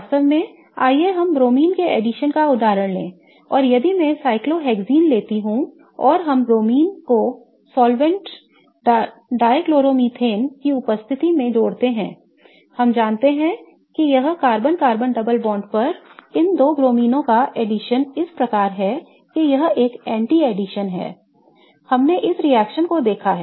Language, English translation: Hindi, In fact, let us take the example of addition of BR2 and if I take cyclohexene and we add BR2 in presence of let's say dichloromethane as the solvent we know that it results into addition of these two bromines on the carbon carbon double bond such that it is an anti addition we have reaction